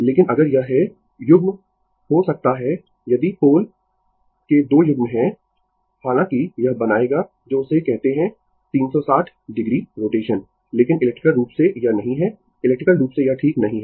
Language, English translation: Hindi, But if it is may pair your if you have 2 pairs of pole, although it will make your what you call that your 360 degree rotation, but electrically it is not, electrically it is not right